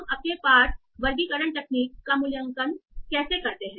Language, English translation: Hindi, How do we evaluate our text classification approach